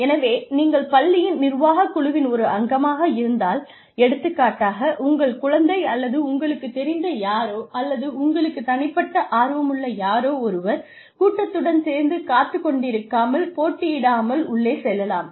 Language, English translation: Tamil, So, if you are part of the governing body of the school, for example your child or somebody known to you, or somebody, who you have a personal interest in, could get in, without sitting through, without competing with the rest of the crowd